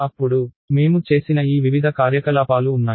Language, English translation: Telugu, Then, there are these various operations that we did